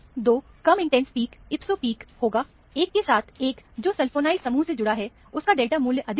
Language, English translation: Hindi, The 2 low intense peak would be the ipso peak; one correspond to, the one that is attached to the sulfonyl group, will have the higher delta value